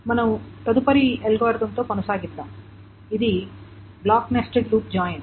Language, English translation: Telugu, So let us continue with the next algorithm which is the block nested loop join